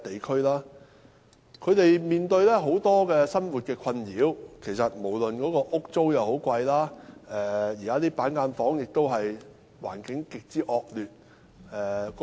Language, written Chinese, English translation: Cantonese, 他們面對很多生活困擾，例如租金昂貴，難以負擔，而板間房的環境亦極之惡劣。, They are plagued by numerous difficulties in their daily life such as expensive rentals which they can hardly afford and the terrible environment of cubicle apartments